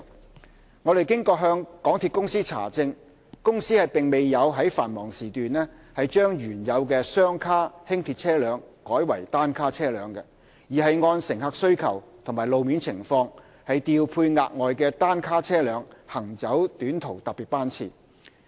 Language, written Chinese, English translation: Cantonese, 經我們向港鐵公司查證，港鐵公司並沒有於繁忙時段將原有的雙卡輕鐵車輛改為單卡車輛，而是按乘客需求及路面情況，調配額外的單卡車輛行走短途特別班次。, Upon verification MTRCL advises that the Corporation has not converted the original coupled - set LRVs to single - set ones during peak hours but deployed additional single - set LRVs to run short haul special service in view of passenger demand and road condition